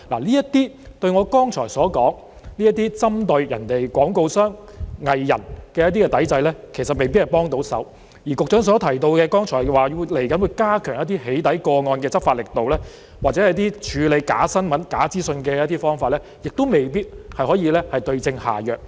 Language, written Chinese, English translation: Cantonese, 這些對我剛才所說針對相關廣告商和藝人的抵制，其實未必有幫助，而局長剛才提到接下來會加強對"起底"個案的執法力度，或處理假新聞、假資訊的方法，亦未必可以對症下藥。, This may not be of help to addressing the boycott against advertisers and artistes as I have just mentioned and despite the stepping up of law enforcement against doxxing cases as indicated by the Secretary just now or the adoption of methods to deal with fake news and disinformation an effective solution may not be worked out